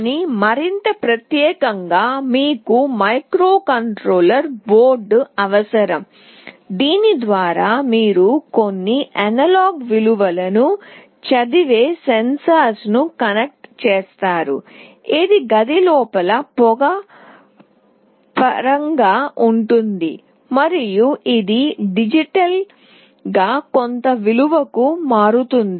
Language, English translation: Telugu, But more specifically you need a microcontroller board through which you will be connecting a sensor that will read some analog values, which is in terms of smoke inside the room, and it will convert digitally to some value